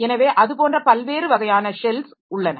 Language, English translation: Tamil, So, like that, there are different types of shells